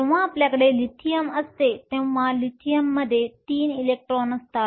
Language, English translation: Marathi, When we have Lithium, Lithium has 3 electrons